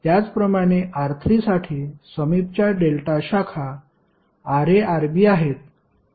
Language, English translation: Marathi, Similarly for R3, the adjacent delta branches are Rb Ra